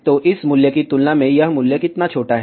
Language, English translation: Hindi, So, compared to this value, how small this value is